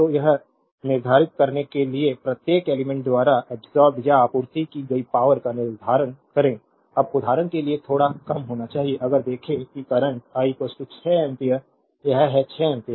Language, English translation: Hindi, So, determine the power absorbed or supplied by each element in figure this, now you know little bit of you have to understand little bit for example, if you see that the current I is equal to 6 ampere this is 6 ampere